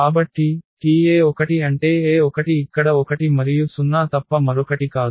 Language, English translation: Telugu, So, T e 1 means the e 1 here is nothing but this 1 and 0